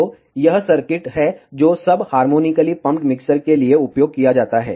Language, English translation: Hindi, So, this is the circuit used for sub harmonically pumped mixer